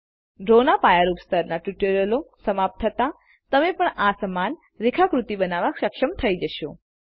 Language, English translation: Gujarati, At the end of the basic level of Draw tutorials, you will also be able to create a similar diagram by yourself